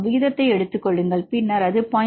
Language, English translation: Tamil, 65 right, we take the ratio, then it is 0